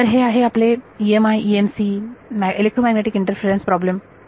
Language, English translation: Marathi, So, that is your EMI EMC as a quality electromagnetic interference problems